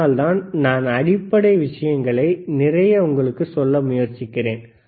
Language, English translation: Tamil, That is why I am trying to keep a lot of things which are basic